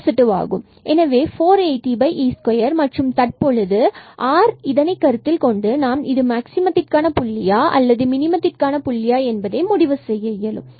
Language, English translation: Tamil, So, 480 over e square and now based on this sign of r, we can decide whether this is a point of maximum or minimum